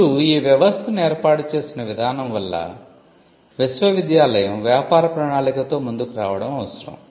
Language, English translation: Telugu, Now, because of the way in which the system is set it is necessary that the university comes up with a business plan